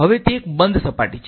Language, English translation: Gujarati, Now it is a closed surface